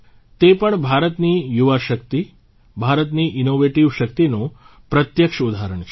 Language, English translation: Gujarati, This too, is a direct example of India's youth power; India's innovative power